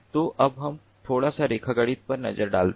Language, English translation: Hindi, so now let us look at a little bit of geometry